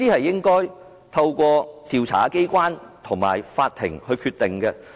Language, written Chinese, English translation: Cantonese, 應該透過調查機關及法庭來決定。, This question should be decided by the investigating authorities and the court